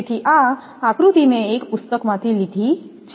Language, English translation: Gujarati, So, this diagram I have taken from a book